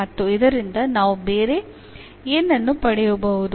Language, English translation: Kannada, And what else we can actually get out of this